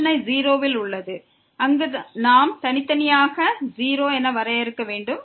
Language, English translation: Tamil, The problem is at 0 where we have to defined separately as 0